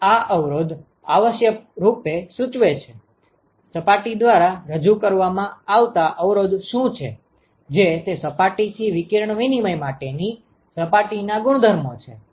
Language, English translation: Gujarati, So, this resistance essentially signifies, what is the resistance offered by the surface due to it is surface properties for radiation exchange from that surface